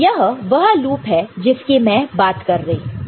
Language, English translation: Hindi, So, this is the loop that I am talking about ok